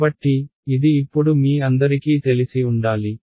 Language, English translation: Telugu, So, this should be familiar to all of you by now